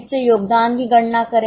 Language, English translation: Hindi, So, compute the contribution